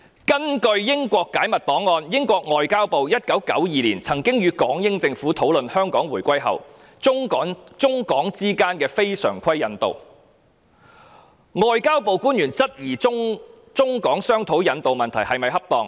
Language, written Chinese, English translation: Cantonese, 根據英國解密檔案，英國外交部於1992年曾與港英政府討論香港回歸後，中港之間的非常規引渡安排，外交部官員當時質疑中港商討引渡問題是否恰當。, According to the declassified records in the United Kingdom when the Foreign and Commonwealth Office FCO of the British Government discussed with the British Hong Kong Administration in 1992 non - standard arrangement for extraordinary rendition between China and Hong Kong after reunification FCO officers queried if it was appropriate to have a negotiation between China and Hong Kong on rendition arrangement